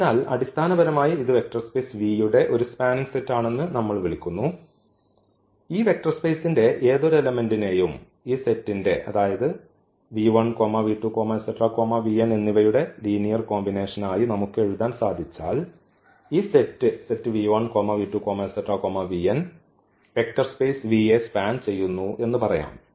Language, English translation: Malayalam, So, basically we call that this is a spanning set of a vector space V if any element of this vector space, we can write down as a linear combination of this given set V or in other words which we have written here the vectors v 1, v 2, v n in V are said to a span V if every v in V is a linear combination of the vectors v 1, v 2, v 3 v n